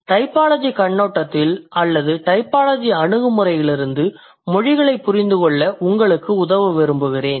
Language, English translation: Tamil, I, I would like to help you with understanding of languages from a typological perspective or from a typological approach